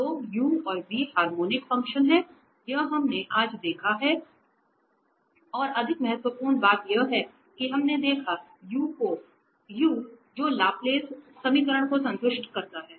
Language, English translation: Hindi, So, u and v are harmonic functions, this is what we have seen today and more importantly we have seen that given u which is which satisfies the Laplace equation